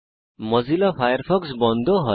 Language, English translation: Bengali, Mozilla Firefox shuts down